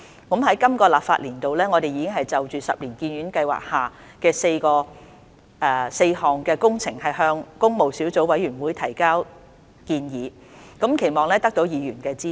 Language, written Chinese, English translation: Cantonese, 在今個立法年度，我們已就十年醫院發展計劃下4項工程向工務小組委員會提交建議，期望得到議員的支持。, During this financial year we have submitted proposals for four works projects under the 10 - year Hospital Development Plan to the Public Works Subcommittee in the hope of gaining Members support